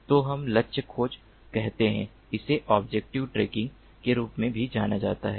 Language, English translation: Hindi, so let us say target tracking, this is also known as object tracking